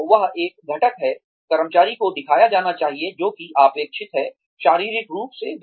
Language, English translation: Hindi, So, that is one component, the employee should be shown, what is expected, physically